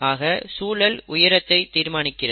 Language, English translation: Tamil, So the environment is determining the height